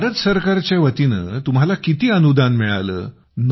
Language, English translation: Marathi, So how much grant did you get from the Government of India